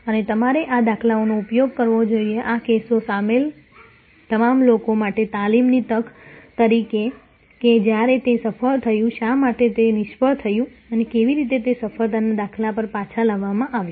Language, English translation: Gujarati, And you should use these instances, these cases as a training opportunity for all the different people involved that when it succeeded, why it failed and how it was brought back to a success paradigm